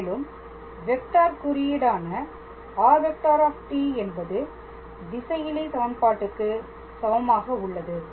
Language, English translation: Tamil, And that vector representation r t equals to that expression is same as the scalar equation